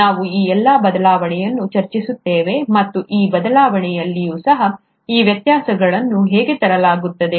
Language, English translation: Kannada, We’ll discuss this variation, and even in this variation, how are these variations brought about